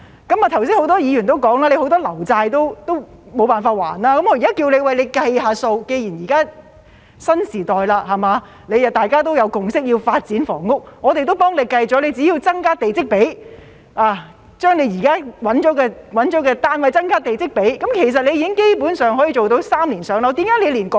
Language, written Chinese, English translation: Cantonese, 剛才很多議員也表示，局長很多"樓債"也償還不到，既然現在是新時代，大家也有共識要發展房屋，我們已替局長計算過，只要增加地積比，將現在找到的土地增加地積比，其實基本上可以做到"三年上樓"。, Just now many Members also said that the Secretary has not been able to repay many of his housing debts . As this is a new era and there is a consensus to develop housing we have done the calculations for the Secretary . Provided that the plot ratio of the land currently available is increased in fact the target of three - year waiting time for PRH can basically be achieved